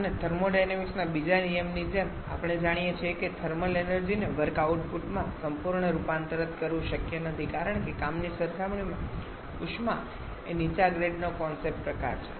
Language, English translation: Gujarati, And as from the second law of thermodynamics we know that complete conversion of thermal energy to work output is not possible because heat is a lower grade concept type of energy compared to work